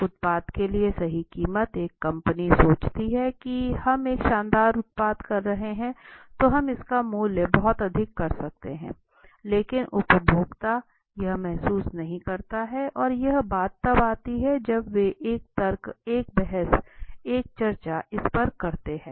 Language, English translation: Hindi, What are the right prices for a product so sometimes a company might be thinking we are having a fantastic product so we should priced very high but the consumers does not feel so and that only comes when they make a argument a debate a discussion over it right